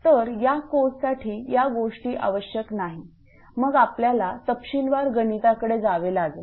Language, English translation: Marathi, So, details are not required for this course, then we have to go for detailed mathematics